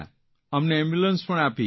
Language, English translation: Gujarati, You came in an ambulance